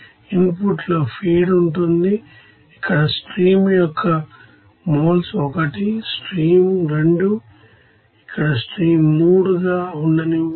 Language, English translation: Telugu, In the input there will be a feed there will be a you know that moles of you know stream here let it be 1 stream 2, here stream 3